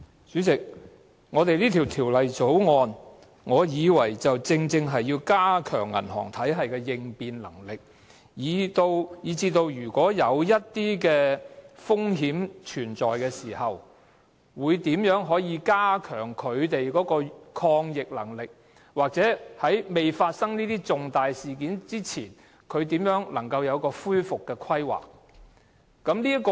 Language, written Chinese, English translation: Cantonese, 主席，《條例草案》正是要加強銀行體系的應變能力，包括在體系出現風險的時候，如何加強抗逆能力，或在重大事件發生前，如何擬定一套恢復計劃。, President the Bill is precisely about strengthening the resilience of our banking system which concerns such questions as how the banking systems ability to cope with adversities could be enhanced when systemic risks arise and how to formulate a recovery plan before the incidence of major events occur